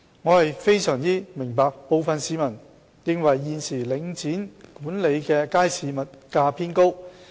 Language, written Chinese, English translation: Cantonese, 我非常明白部分市民認為現時領展管理的街市物價偏高。, I understand full well that some people may consider the current prices of goods at markets managed by Link REIT relatively high